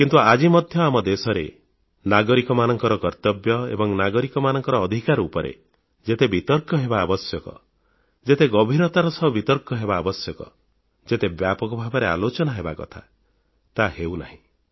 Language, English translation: Odia, But still in our country, the duties and rights of citizens are not being debated and discussed as intensively and extensively as it should be done